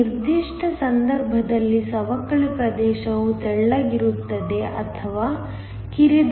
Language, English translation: Kannada, In this particular case, the depletion region is thin or that is narrow